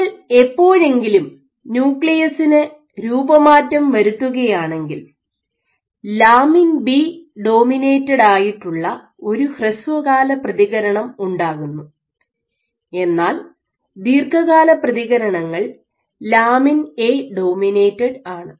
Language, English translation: Malayalam, So, your short term whenever you deform the nucleus when you deform the nucleus you have a short term response which is lamin B dominated, and a long term response which is lamin A dominated